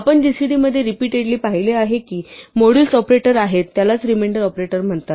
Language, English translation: Marathi, We have seen one repeatedly in gcd which is the modulus operator, the remainder operator